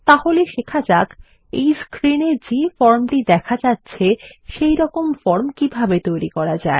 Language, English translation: Bengali, Let us see how we can design this form as shown in the screen image